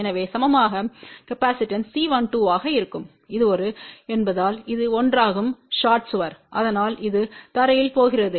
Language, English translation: Tamil, So, the equivalent capacitance will be C 1 2 and this is one since it is a shorted wall , so that is going to ground